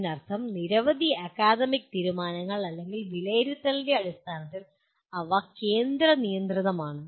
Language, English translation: Malayalam, That means there are many academic decisions or in terms of assessment they are centrally controlled